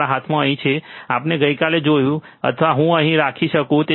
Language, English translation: Gujarati, In my hand here, that we have seen yesterday or I can keep it here